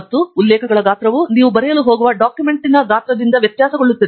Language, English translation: Kannada, And the size of references is going to vary by the size of the document you are going to write